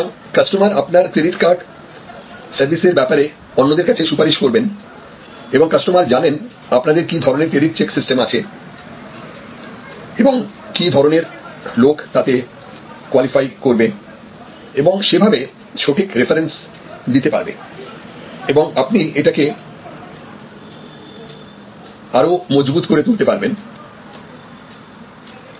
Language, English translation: Bengali, So, the customer recommends your credit card service to others and the customer knows what kind of credit check system that you have, what kind of people will qualify and therefore, the right kind of references and you can actually further reinforce it